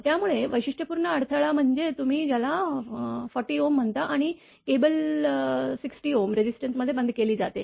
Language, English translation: Marathi, So, characteristic impedance is your what you call 40 ohm and the cable is terminated in a 60 ohm resistor